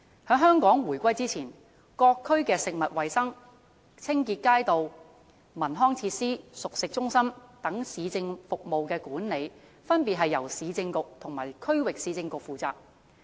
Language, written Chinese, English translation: Cantonese, 在香港回歸以前，各區的食物衞生、街道清潔、文康設施和熟食中心等市政服務的管理，分別由市政局和區域市政局負責。, Prior to the reunification of Hong Kong the Urban Council and the Regional Council were respectively in charge of the management of such municipal services as food hygiene street cleansing cultural and recreational facilities and cooked food centres in various districts